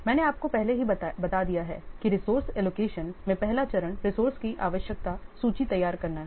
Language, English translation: Hindi, I have already told you the first step in resource allocation is preparing a resource requirement list